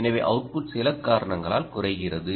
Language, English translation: Tamil, so the output drops, ah, for some reason